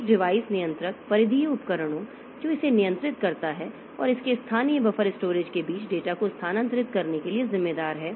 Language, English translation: Hindi, A device controller is responsible for moving the data between the peripheral devices that it controls and its local buffer storage